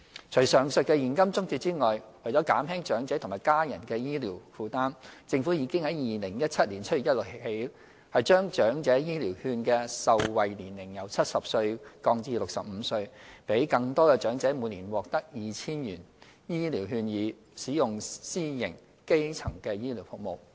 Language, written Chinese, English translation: Cantonese, 除上述的現金津貼外，為減輕長者和家人的醫療負擔，政府已在2017年7月1日起將"長者醫療券"的受惠年齡由70歲降至65歲，讓更多長者每年獲得 2,000 元醫療券以使用私營基層醫療服務。, In addition to the abovementioned cash assistance to alleviate the burden of medical expenses on elderly persons and their families the Government has lowered the eligibility age for the Elderly Health Care Voucher from 70 to 65 with effect from 1 July 2017 . More elderly persons are therefore receiving voucher value of 2,000 a year to use private primary care services